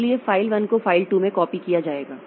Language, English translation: Hindi, So, File 1 will be copied to File 2